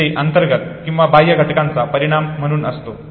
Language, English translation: Marathi, As a result of internal or external factors